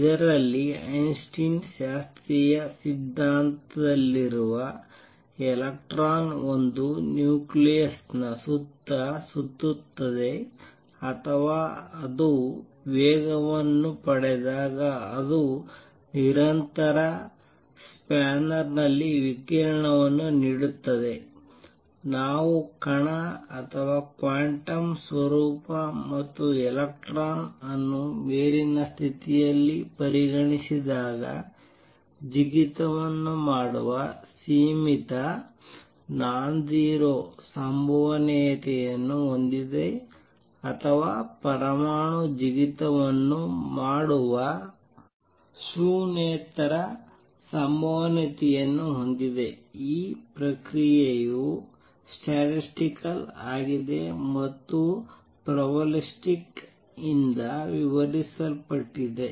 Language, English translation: Kannada, In this Einstein also introduce the idea of probabilistic nature of radiation that is in classical theory electron revolves around a nucleus or whenever it accelerates it just gives out radiation in a continuous spanner, when we consider the particle or quantum nature and electron in an upper state has a finite nonzero probability of making a jump or the atom has a non zero probability of making a jump this process is statistical and described by probability